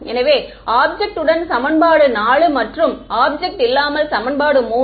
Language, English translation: Tamil, So, with object is equation 4 and without object is equation 3